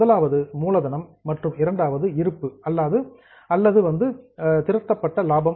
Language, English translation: Tamil, The first one is capital and the second one is reserves or accumulated profits